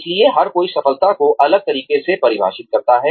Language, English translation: Hindi, So, everybody defines success, differently